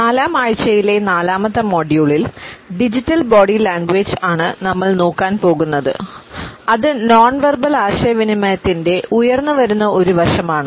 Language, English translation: Malayalam, In the fourth module of the fourth week we would take up digital body language which is an emerging aspect of nonverbal communication